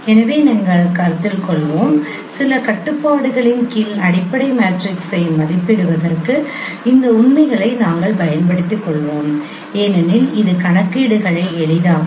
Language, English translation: Tamil, So we will be considering, we will be exploiting these facts for estimating the fundamental matrix under certain constraint scenarios because that would simplify the computations